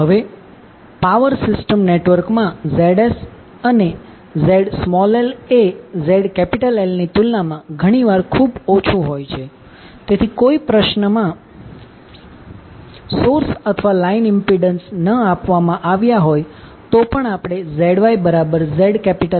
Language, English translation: Gujarati, Now in the power system network the ZS and ZL are often very small as compared to ZL, so we can assume ZY is almost equal to ZL even if no source or line impedance is given in the question